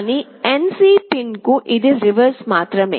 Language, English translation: Telugu, But for the NC pin it is just the reverse